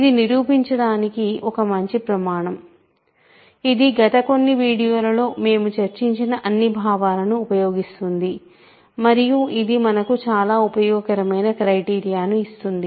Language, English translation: Telugu, So, this is a good criterion to prove, so that it actually uses all the notions that we developed in the last couple of videos and it gives us a very useful criterion